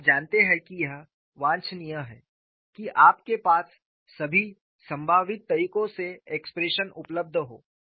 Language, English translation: Hindi, You know it is desirable that you have the expressions available in all the possible ways